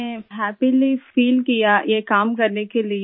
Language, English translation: Hindi, I felt happy in doing this work